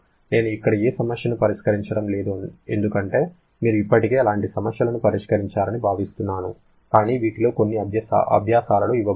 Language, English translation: Telugu, I am not solving any problem here because you are expected to have already solved such problems but some of these will be given in the assignments